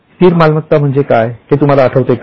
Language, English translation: Marathi, Do you remember what is meant by fixed assets